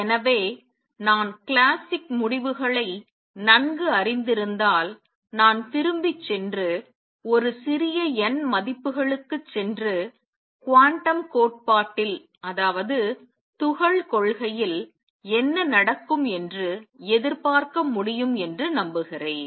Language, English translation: Tamil, Therefore I can hope if I know the classic results well, that I can go back and go for a small n values and anticipate what would happen in quantum theory